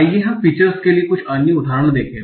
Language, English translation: Hindi, So let's see some other examples for the features